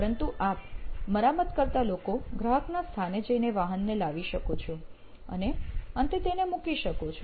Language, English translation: Gujarati, But you, the servicing people can actually go to the location, pick up the vehicle and drop it off at the end